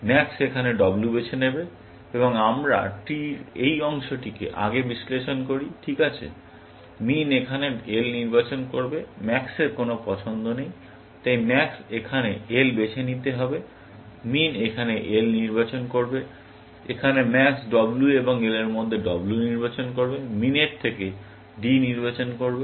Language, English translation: Bengali, Max will choose W here, and we analyze this part of the tree, earlier, right; min will choose L here; max does not have a choice; so, max has to choose L here; min will choose L here; here, max will choose W between